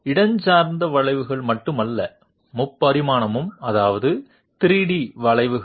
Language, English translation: Tamil, Not only spatial curves, but also three dimensional that means 3 D curves